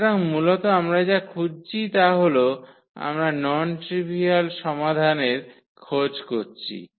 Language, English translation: Bengali, So, basically what we are looking for, we are looking for the non trivial solution